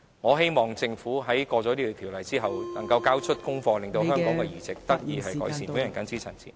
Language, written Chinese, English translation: Cantonese, 我希望政府在通過《條例草案》後，能夠交出功課，令到香港的器官移植情況得以改善。, I hope that after the passage of the Bill the Government can do a better job so that organ transplantation in Hong Kong can be improved